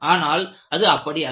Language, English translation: Tamil, It is never the case